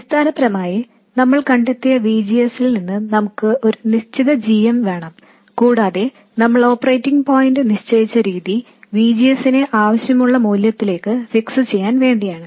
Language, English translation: Malayalam, Basically we wanted a sub min GM and from that we found the VGS and the way we fixed the operating point was to fix VGS to the VGS to the desired value